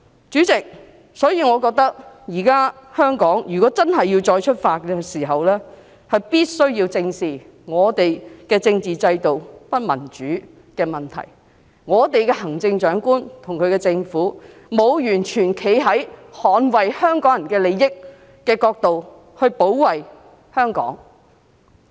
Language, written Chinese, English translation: Cantonese, 主席，我認為香港如果真的要再出發，必須正視我們的政治制度不民主的問題，我們的行政長官和其政府，沒有完全從捍衞香港人利益的角度保衞香港。, Chairman in my opinion if Hong Kong really wants to take off again the problem of our undemocratic constitutional system must be addressed squarely . Our Chief Executive and her government have not protected Hong Kong from the perspective of safeguarding the interests of Hong Kong people at all